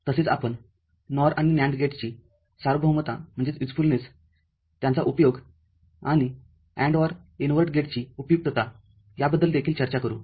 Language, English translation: Marathi, We shall also discuss universality of NOR and NAND gates, its usefulness and also usefulness of AND OR Invert gate